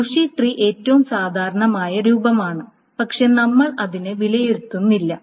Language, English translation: Malayalam, So bush tree is the most general form but we will not evaluate it